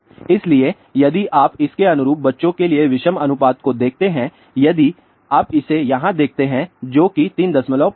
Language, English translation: Hindi, So, if you look at the odd ratio for children corresponding to this if you look at it here that is 3